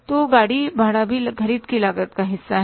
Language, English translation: Hindi, So carriage is also the part of the cost of purchases